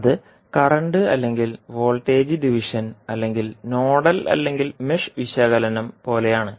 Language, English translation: Malayalam, So, that is like a current or voltage division or nodal or mesh analysis